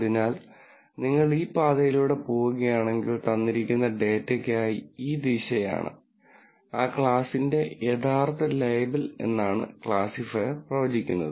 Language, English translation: Malayalam, So, if you go down this path this is what the classifier predicts for a given data and this direction is the actual label for that class